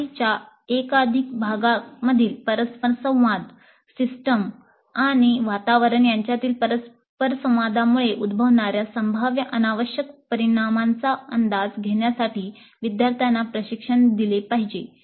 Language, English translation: Marathi, So students must be trained to anticipate the possibly unintended consequences emerging from interactions among the multiple parts of a system and interactions between the system and the environment